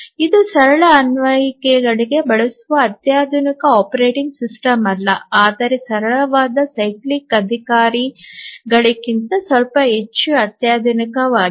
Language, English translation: Kannada, So, this is also not a sophisticated operating system used for simple applications but slightly more sophisticated than the simplest cyclic executives